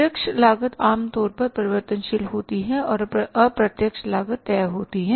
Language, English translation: Hindi, Direct cost is generally variable and indirect cost is fixed